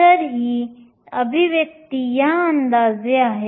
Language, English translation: Marathi, So, this expression approximates to this one